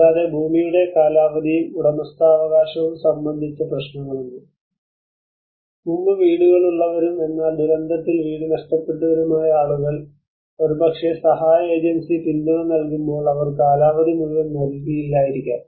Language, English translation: Malayalam, Also there are issues of land tenure and ownership, the people who are having houses before and but who have lost their houses in the disaster maybe when the aid agency support they may not give the tenure full tenure